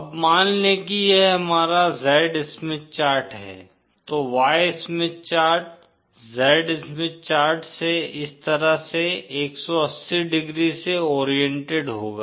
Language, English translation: Hindi, Now suppose this is our Z Smith chart, then the Y Smith chart will be 180¡ oriented from the Z Smith chart and like this